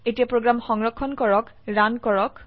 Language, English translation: Assamese, Now, save and run this program